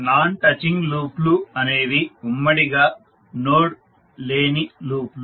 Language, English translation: Telugu, So non touching loops are the loops that do not have any node in common